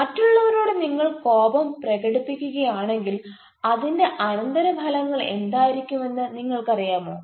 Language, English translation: Malayalam, are you aware that if you express anger on others, what would be the consequences